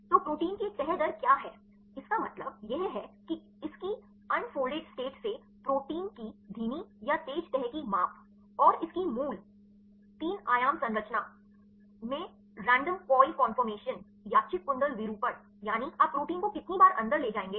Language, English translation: Hindi, So, what is a folding rate of a protein means right it is the measure of slow or fast folding of a protein from its unfolded state right the random coil conformation to its the native 3 dimension structure right how long you protein will take to fold in your native 3D structures